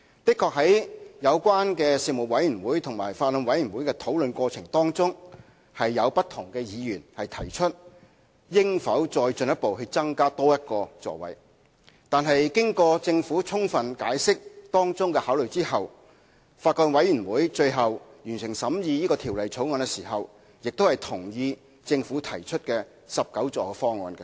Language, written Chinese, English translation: Cantonese, 在事務委員會及法案委員會的討論過程中，確實有不同議員曾提出應否再進一步，增加多1個座位，但經過政府充分解釋當中的考慮後，法案委員會最後在完成審議《條例草案》時也同意政府提出的19個座位方案。, During the discussions at the Panel and the Bills Committee various Members have in fact questioned whether it was necessary to go further by adding one more seat . However after the Government has fully explained its considerations therein in detail the Bills Committee has also endorsed the 19 - seat option proposed by the Government on completion of its scrutiny of the Bill